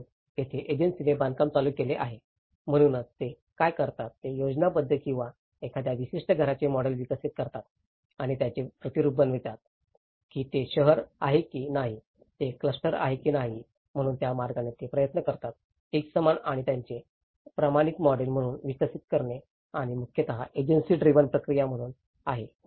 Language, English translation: Marathi, So, here this is where the agency driven construction, so what they do is they develop a schematic or a model of a particular house and they replicate it whether it is a township, whether it is a cluster, so in that way, they try to develop as a uniform and the standardized models of it and this is mostly as an agency driven process